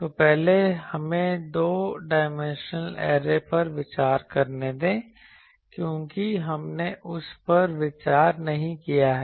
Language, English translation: Hindi, So, first let us consider a two dimensional array, because we have not sorry we have not considered that